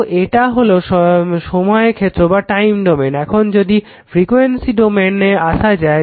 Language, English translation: Bengali, So, this is time domain, now if you come to your frequency domain